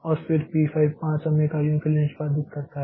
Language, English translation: Hindi, So, P5 executes for 5 time units